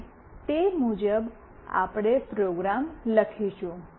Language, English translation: Gujarati, And accordingly we will write the program